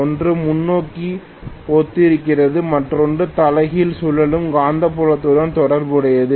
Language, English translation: Tamil, One corresponding to forward, the other corresponding to reverse rotating magnetic field